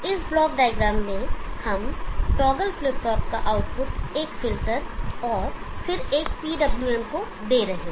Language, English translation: Hindi, In this block diagram, we are giving the output of the toggle flip flop to a filter and then to a PWM